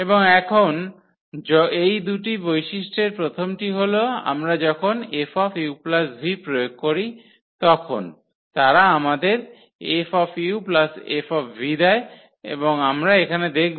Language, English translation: Bengali, And now these 2 properties of the first property is this that when we apply F on this u plus v they should give us F u plus F v and that we will check here